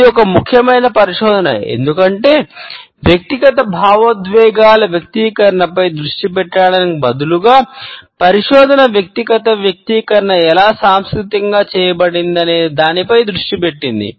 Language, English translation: Telugu, This is a significant research, because instead of focusing on the expression of individual emotions, the research has focused on how the individual expression itself is culturally conditioned and culturally quoted